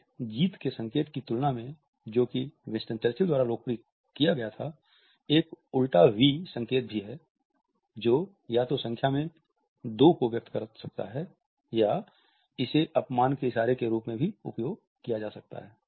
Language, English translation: Hindi, In comparison to this victory sign which is been popularized by Winston Churchill, there is an inverted v sign also which may either convey two in number or it can also be constituted as a gesture of insult